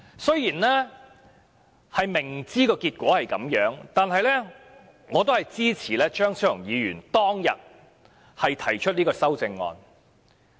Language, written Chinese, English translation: Cantonese, 雖然明知有此結果，但我仍然支持張超雄議員當日提出的修正案。, Although this outcome was well - expected I still throw my support behind the then amendments proposed by Dr Fernando CHEUNG